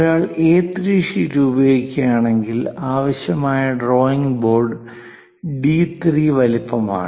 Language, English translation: Malayalam, If one is using A3 sheet, then the drawing board required is D3 size